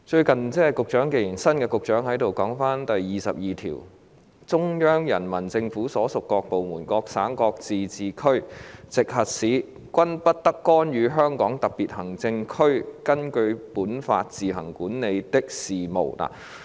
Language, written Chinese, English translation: Cantonese, 既然新任局長也在席，我想談談《基本法》第二十二條訂明："中央人民政府所屬各部門、各省、自治區、直轄市均不得干預香港特別行政區根據本法自行管理的事務。, Since the newly appointed Secretary is in the Chamber I would like to talk about Article 22 of the Basic Law which reads No department of the Central Peoples Government and no province autonomous region or municipality directly under the Central Government may interfere in the affairs which the Hong Kong Special Administrative Region administers on its own in accordance with this Law